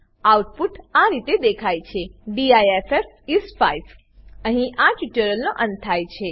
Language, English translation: Gujarati, The output is displayed as Diff is 5 This brings us to the end of this tutorial